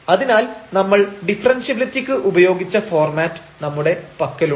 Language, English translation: Malayalam, So, we have that format which we have used for the differentiability